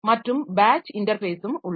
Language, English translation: Tamil, And there is batch interface